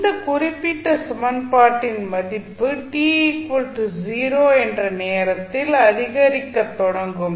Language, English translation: Tamil, So, what will happen if you see this particular equation at time t is equal to 0 the value will start increasing